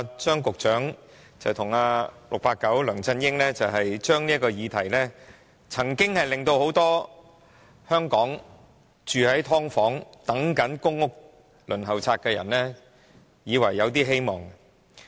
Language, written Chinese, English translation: Cantonese, 張局長和 "689" 梁振英這些承諾曾令很多香港住在"劏房"、或在公屋輪候冊上等"上樓"的人以為有些希望。, Such promises of Secretary Anthony CHEUNG and 689 LEUNG Chun - ying did give many Hong Kong people who in live subdivided units or on the Waiting List for Public Rental Housing PRH some hope